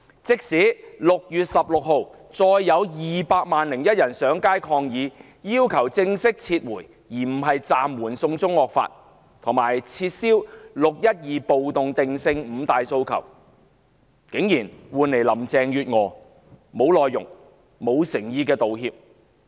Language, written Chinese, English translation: Cantonese, 即使6月16日再有 "200 萬 +1" 人上街抗議，提出正式撤回而不是暫緩"送中惡法"，以及撤銷"六一二"暴動定性等"五大訴求"，林鄭月娥也只是作出既無內容也欠缺誠意的道歉。, Even with 2 million plus one citizens taking to the streets in protest again on 16 June and making the five demands which include a formal withdrawal―instead of a suspension―of the draconian China extradition law as well as retraction of the riot classification of the 12 June protest Carrie Lam did nothing but making an empty and half - hearted apology